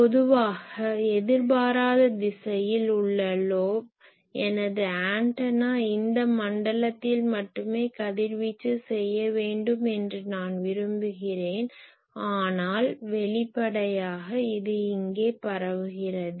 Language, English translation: Tamil, Generally, the lobe in an unintended direction, I want that my antenna should radiate only in these zone , but obviously, it is also radiating here